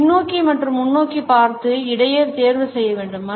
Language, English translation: Tamil, We have to choose between looking backwards and looking forwards